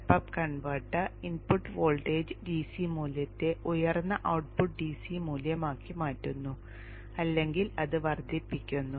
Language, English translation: Malayalam, Step up converter converts the input voltage into a higher outure up converter converts the input voltage into a higher output DC value or boosting it